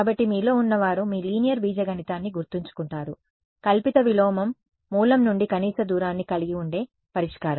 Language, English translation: Telugu, So, those of you remember your linear algebra the pseudo inverse was the solution which had minimum distance from the origin